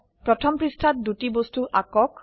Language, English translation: Assamese, Draw two objects on page one